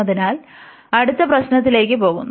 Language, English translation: Malayalam, So, going to the next problem